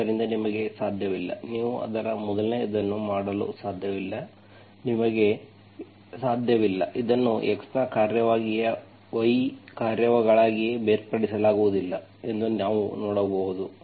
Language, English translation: Kannada, So you cannot, you cannot make its first of all, you cannot, you can see that it cannot be separated as a function of x into functions of y